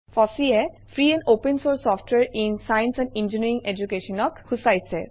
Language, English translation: Assamese, Fossee stands for Free and Open source software in science and engineering education